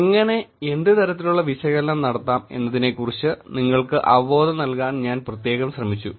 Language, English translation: Malayalam, Most specifically I was trying to give you an intuition about how, what analysis can be done